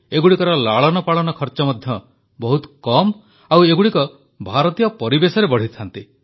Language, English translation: Odia, They cost less to raise and are better adapted to the Indian environment and surroundings